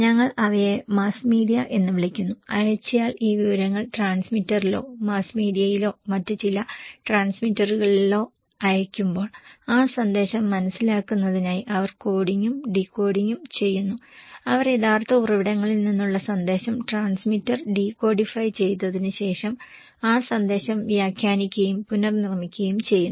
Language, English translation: Malayalam, We call them as mass media and when the sender send these informations to the transmitter or mass media or some other transmitters, they do coding and decoding in order to understand that message and they interpret and deconstruct and reconstruct that message and transmitter then after the decodifying the message from the original source